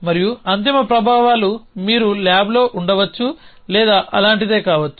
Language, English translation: Telugu, And the end effects could be you could be inside the lab or something like that